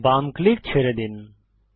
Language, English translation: Bengali, Release left click